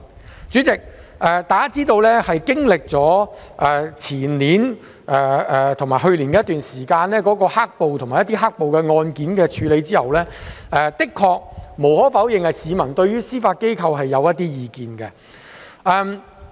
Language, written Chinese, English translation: Cantonese, 代理主席，大家知道經歷了前年及去年的一段時間，有關"黑暴"及其案件的處理後，無可否認市民的確對司法機構有一些意見。, Deputy President everyone knows that during the year before last and last year the handling of some cases related to black - clad riots by the judiciary received some criticism from the public